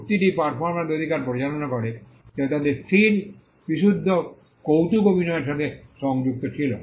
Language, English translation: Bengali, The treaty governs the right of performers which were connected to their fixed purely aural performances